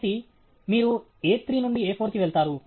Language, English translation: Telugu, So, you go from A three to A four